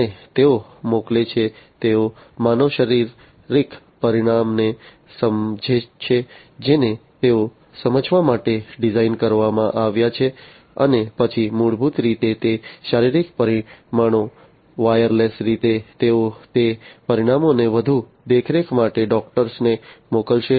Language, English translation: Gujarati, And they send, they sense the human physiological parameter that they have been designed to sense and then basically those physiological parameters wirelessly they are going to send those parameters to the doctors for further monitoring